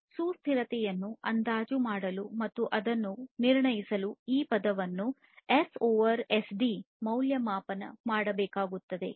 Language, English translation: Kannada, So, in order to estimate this sustainability and assess it, it is required to evaluate this term S over SD, ok